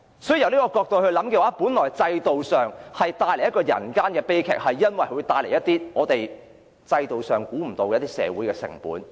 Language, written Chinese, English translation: Cantonese, 在這個角度而言，制度造成了人間悲劇，因為當中引致了一些制度無法預計的社會成本。, From this perspective the system has led to tragedies because it has incurred some social costs which it has failed to anticipate